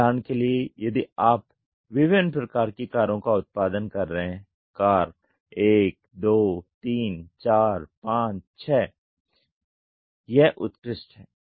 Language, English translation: Hindi, For example, if you are producing different types of cars; car 1 2 3 4 5 6 it is excellent